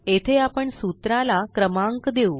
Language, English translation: Marathi, Here we will also number the formulae